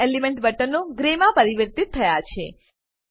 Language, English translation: Gujarati, All element buttons turn to grey